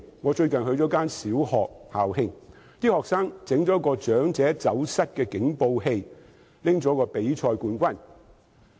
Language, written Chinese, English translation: Cantonese, 我最近曾出席一間小學的校慶，學生研發了一個"長者走失警報器"，並獲得比賽冠軍。, Recently I have attended the anniversary ceremony of a primary school . Its students have invented an alarm device for missing elderly and won the first prize in a competition